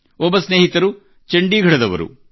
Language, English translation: Kannada, One of our friends hails from Chandigarh city